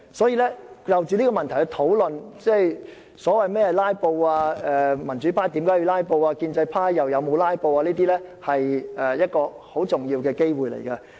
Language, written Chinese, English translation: Cantonese, 所以，藉現在這項議案討論何謂"拉布"、民主派為何要"拉布"、建制派又有否"拉布"等，是一個難得機會。, Therefore the current motion has actually given us a precious chance to discuss what is meant by filibuster why the pro - democracy camp has to filibuster whether the pro - establishment camp has engaged in filibusters and so on